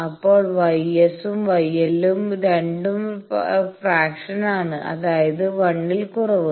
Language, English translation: Malayalam, Now both gamma S and gamma L they are fractions; that means, less than 1